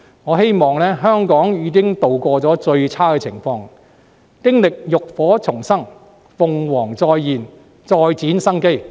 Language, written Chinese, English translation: Cantonese, 我希望香港已度過最差情况，經歷浴火重生，鳳凰再現，再展生機。, I hope the worst has passed for Hong Kong and just like the rebirth of a phoenix from the ashes it will be revitalized